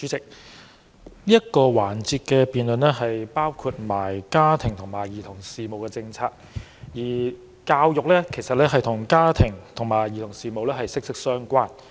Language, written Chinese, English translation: Cantonese, 主席，這個辯論環節的範圍涵蓋家庭及兒童事務政策，而教育則是與家庭和兒童事務息息相關。, President this debate session covers the policy areas of family and children and education is closely related to family and children